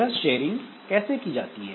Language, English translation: Hindi, So how this sharing will be done